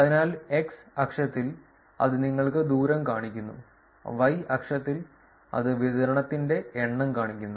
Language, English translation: Malayalam, So, on the x axis it is showing you the distance; on the y axis, it is showing you the number of the distribution